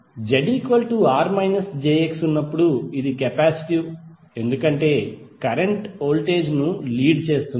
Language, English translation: Telugu, When Z is equal to R minus j X, it is capacitive because the current leads the voltage